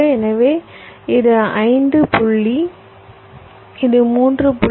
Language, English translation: Tamil, this will become point nine, five